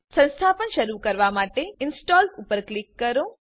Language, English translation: Gujarati, Click Install to start the installation